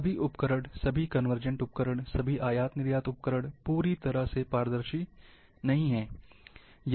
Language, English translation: Hindi, These all tools, all conversion tools, all export import tools, are not fully transparent